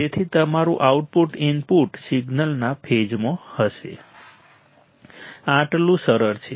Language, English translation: Gujarati, So, your output would be in phase to the input signal right this much is easy